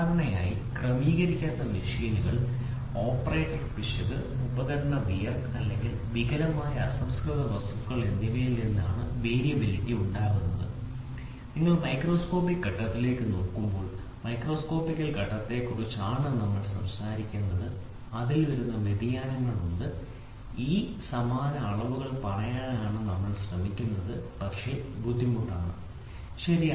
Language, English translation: Malayalam, So, usually variability arises from improperly adjusted machines, operator error, tool wear and or defective raw material, this we are talking about the macroscopical stage when you look into the microscopical stage, there are variations which are coming into and that is why we are trying to say this identical measurements are very difficult to be made, ok